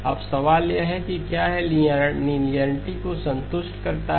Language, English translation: Hindi, Now the question is if so whether it satisfies linearity